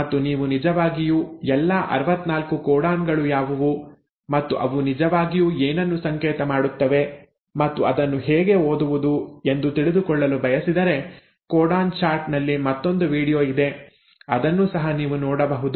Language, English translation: Kannada, And if you really want to know all the 64 codons and what they really code for and how to read the there is another video on codon chart you can have a look at that too